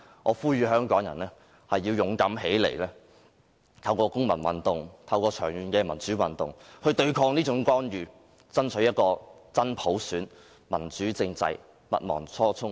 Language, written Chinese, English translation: Cantonese, 我呼籲香港人勇敢站起來，透過長期的公民運動和民主運動對抗這種干預，爭取真普選、民主政制，不忘初衷。, I call on Hong Kong people to come forward with courage . Let us resist such interference and strive for genuine universal suffrage as well as a democratic political system through sustained citizens movements and democratic movements . Let us not forget our original goal!